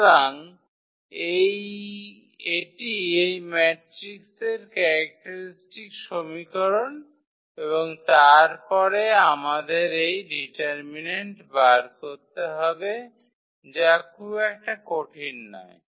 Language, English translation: Bengali, So, that is the characteristic equation of this matrix and then we have to evaluate this determinant which is not so difficult